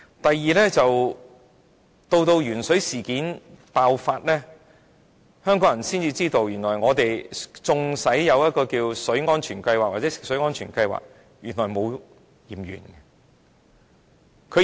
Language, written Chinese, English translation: Cantonese, 第二，在鉛水事件爆發後，香港人才知道，當局有食水安全計劃，但並沒有進行檢驗。, Secondly it was after the lead - in - water incidents that people of Hong Kong were aware that tests had not been conducted by the Administration under the Water Safety Plans